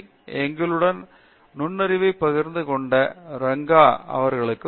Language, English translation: Tamil, Thank you Ranga for joining us and sharing your insight on us